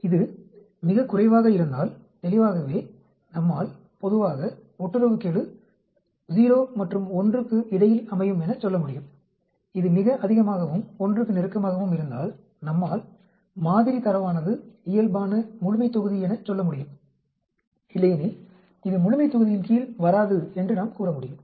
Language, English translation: Tamil, If it is very less, obviously we can say generally correlation coefficient lies between 0 and 1, if it is very high and closer to 1, we can say that the sample data is normal population, otherwise we would say it does not come under the normal population